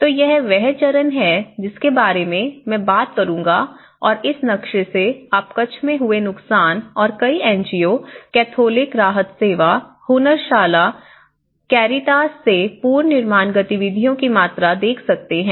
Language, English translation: Hindi, So, this is the stage which I will be talking about it and from this map you can see the amount of damage which has occurred in the Kutch and the amount of reconstruction activities from many NGOs, Catholic Relief Services, Hunnarshala, Caritas